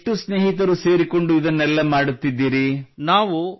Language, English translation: Kannada, How many of your friends are doing all of this together